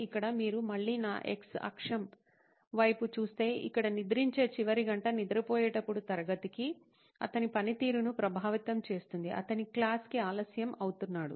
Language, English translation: Telugu, So here if you look at my x axis again, here the late hour of sleeping, of going to sleep actually impacts his performance to class, he is late